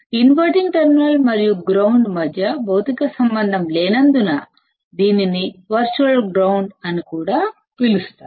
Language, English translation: Telugu, Though there is no physical connection between the inverting terminal and the ground